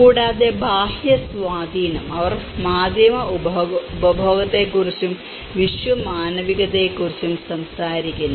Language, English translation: Malayalam, And external influence; they talk about the media consumption and cosmopolitaness